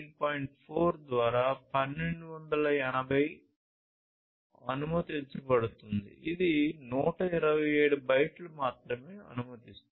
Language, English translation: Telugu, 4 allowing 127 bytes only